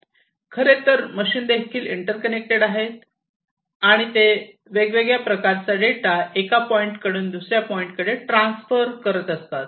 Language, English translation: Marathi, So, basically these machines are also interconnected, and they send different data from one point to another